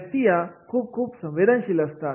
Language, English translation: Marathi, People are very, very sensitive